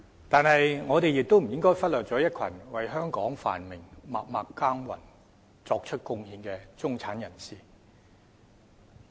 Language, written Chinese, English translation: Cantonese, 但是，我們亦不應忽略一群為香港繁榮默默耕耘，作出貢獻的中產人士。, Having said that we should not neglect the middle - class people who have worked conscientiously and made contribution to the prosperity of Hong Kong